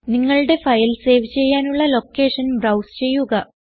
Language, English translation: Malayalam, Browse the location where you want to save your file